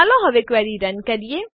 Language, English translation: Gujarati, Let us run the query